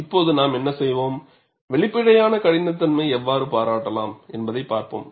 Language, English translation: Tamil, Now, what we will do is, we will look at how we can appreciate the apparent toughness